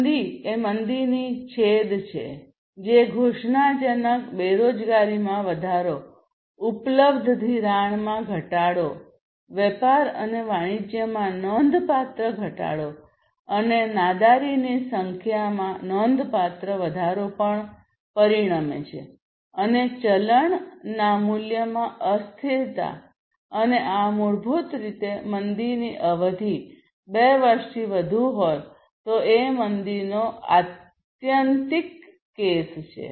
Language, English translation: Gujarati, Depression is the extremity of recession, which is observed by exponential unemployment increase, reduction in available credit, significant reduction in trade and commerce and huge number of bankruptcies might also consequently happen and there is volatility in currency value and the duration is more than two years and this is basically the extreme case of recession